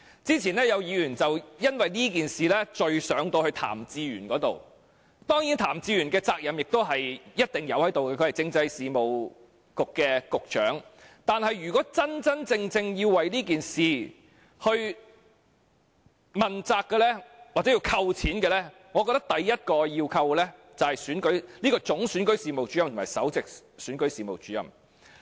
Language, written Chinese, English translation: Cantonese, 之前有議員就此事件向譚志源問責，當然譚志源作為政制及內地事務局局長，亦須負上一定責任，但若真正要為此事問責，或因此事削減薪酬，我認為首要應削減總選舉事務主任及首席選舉事務主任的薪酬。, Members wanted to held Raymond TAM accountable for this . Raymond Tam as the Secretary for Constitutional and Mainland Affairs of course should bear a certain share of the responsibility . But if someone should be held accountable or given a salary cut for this incident I believe it should be the Chief Electoral Officer and the Principal Electoral Officer